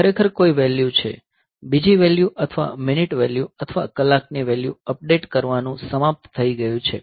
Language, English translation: Gujarati, So, there actually the value; the second value or the minute value or hour value is updation has been over